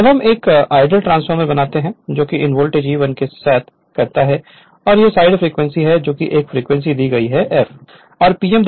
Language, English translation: Hindi, Now we make an ideal transformer right same thing these the voltage E 1 and this this side is frequency F frequency is given mark is f right